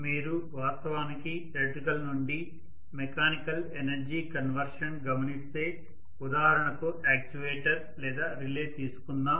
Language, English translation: Telugu, So we are going to look at actually if you look at electrical to mechanical energy conversion, one of the examples is an actuator or a relay